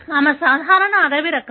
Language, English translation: Telugu, She is normal, wild type